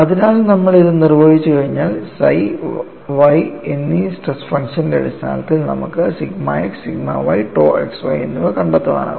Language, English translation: Malayalam, So, once you define this, we can find out sigma x, sigma y and tau xy in terms of the stress function psi and y